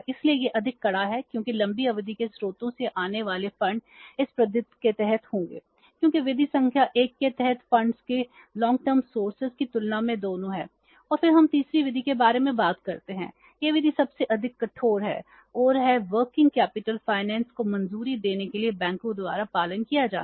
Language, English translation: Hindi, So, it is more stringent because funds coming from the long term sources will be under this method more as compared to the funds coming from long term sources under the method number 1